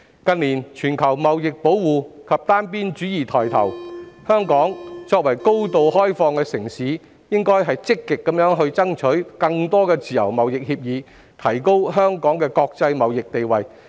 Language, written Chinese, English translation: Cantonese, 近年全球貿易保護及單邊主義抬頭，香港作為高度開放的城市，應積極爭取更多自由貿易協議，提高香港的國際貿易地位。, In view of the rise of trade protectionism and unilateralism in recent years Hong Kong as a highly open city should actively strive for signing more free trade agreements to enhance Hong Kongs international trading status